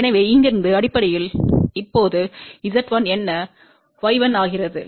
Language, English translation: Tamil, So, from here basically what it is Z 1 now becomes y 1